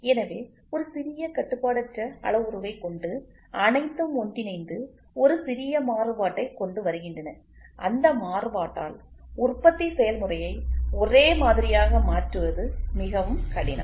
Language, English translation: Tamil, So, this is what with a small uncontrollable parameter, all joint together to form to bring in a small variation, so that variation makes it very difficult for manufacturing process to make them identical